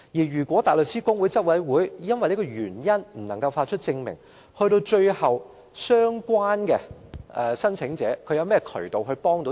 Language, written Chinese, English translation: Cantonese, 如果大律師公會執委會拒絕發出證明書，有關的申請者可以通過甚麼渠道求助？, If the Bar Council refuses to issue the certificate what channels are available for the applicant to seek assistance?